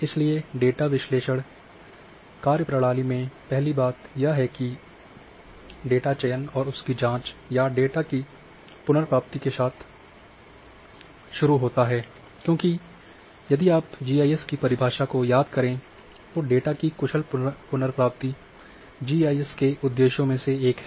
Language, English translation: Hindi, So, in data analysis operation the first thing is starts with the data selection and query, or data retrieval because if you recall the definition of GIS say efficient retrieval of the data that is one of the purposes of GIS